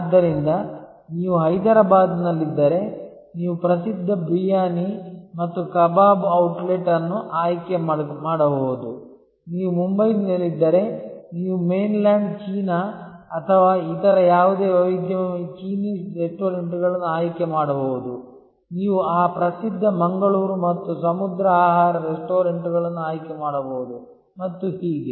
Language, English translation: Kannada, So, if you are in Hyderabad, you can choose a famous Briyani and Kabab outlet, if you are in Mumbai, you can choose Chinese restaurant like Mainland China or any other variety, you could choose some of those famous Mangalorean and sea food restaurants and so on